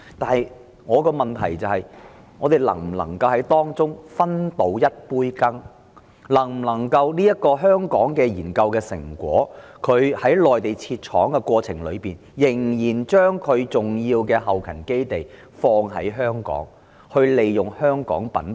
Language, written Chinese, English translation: Cantonese, 透過在內地設廠生產而把在香港完成的研究成果商品化的同時仍然把重要的後勤基地設在香港，善用香港品牌？, Is it possible to while undertaking commercialization of research achievements made in Hong Kong through setting up factories in the Mainland for production still establish the important logistics support base in Hong Kong to make good use of the Hong Kong brand?